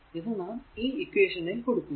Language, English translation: Malayalam, This is your equation 2